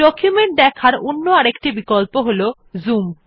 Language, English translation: Bengali, Another option for viewing the document is called Zoom